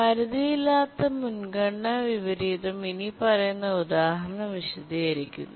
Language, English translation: Malayalam, To understand unbounded priority inversion, let's consider the following situation